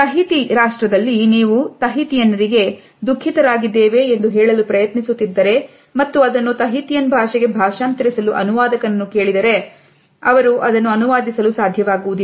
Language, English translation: Kannada, In Tahiti, if you are trying to tell a Tahitian that you are sad and ask a translator to translate that into Tahitian, they will not be able to do so, as there is no word for sadness in the Tahitian language